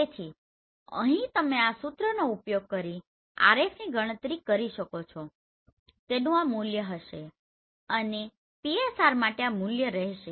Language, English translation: Gujarati, So here you can calculation RF using this formula this will be the value and for PSR this will be the value right